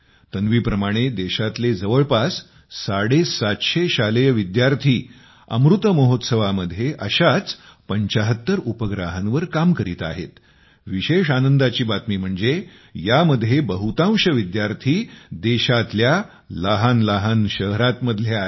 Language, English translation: Marathi, Like Tanvi, about seven hundred and fifty school students in the country are working on 75 such satellites in the Amrit Mahotsav, and it is also a matter of joy that, most of these students are from small towns of the country